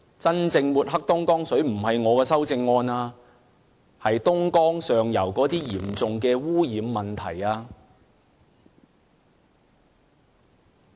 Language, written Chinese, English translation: Cantonese, 真正抹黑東江水的不是我的修正案，而是東江上游那些嚴重的污染問題。, It is not my amendment which has tarnished the Dongjiang water it is the severe pollution problem in the upper reaches of Dongjiang which has tarnished the Dongjiang water